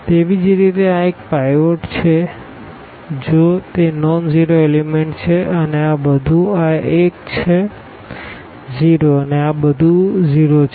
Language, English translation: Gujarati, Similarly, this one is a pivot if it is a nonzero element and this everything to this one is 0 and everything to this one is 0